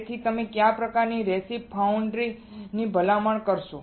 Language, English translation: Gujarati, So, what kind of recipe you will recommend foundry